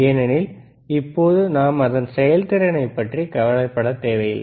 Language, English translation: Tamil, Right now, because we are not worried about the performance,